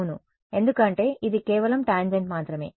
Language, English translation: Telugu, Yes, right because this is just a tangent over there